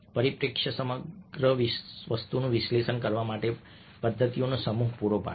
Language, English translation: Gujarati, perspective provides a set of methods for analyzing entire things while we are not doing that